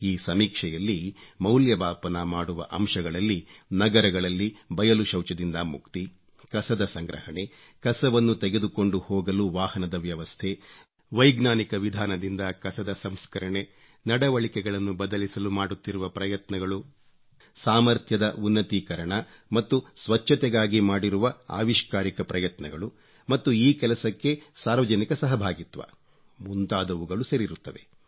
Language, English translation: Kannada, During this survey, the matters to be surveyed include freedom from defecation in the open in cities, collection of garbage, transport facilities to lift garbage, processing of garbage using scientific methods, efforts to usher in behavioural changes, innovative steps taken for capacity building to maintain cleanliness and public participation in this campaign